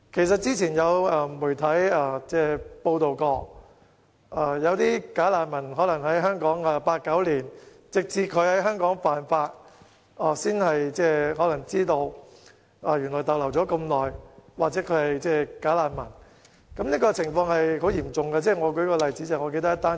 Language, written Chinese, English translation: Cantonese, 之前有媒體報道，有"假難民"已留港長達八九年，直至他們在香港犯法後，才被發現原來已逗留了這麼長時間，或被發現他們"假難民"的身份。, As reported by the media some time ago some bogus refugees have stayed in Hong Kong for as long as eight or nine years . Their prolonged stay or bogus refugee status is only discovered after they have breached the law in Hong Kong